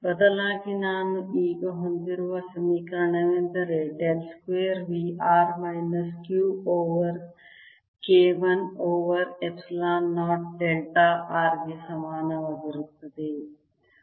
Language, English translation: Kannada, what equation i have now is dell square: v r is equal to minus q over k, one over epsilon zero k delta r